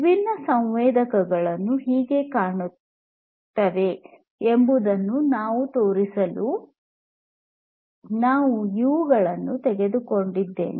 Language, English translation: Kannada, I picked up these ones in order to show you how different sensors look like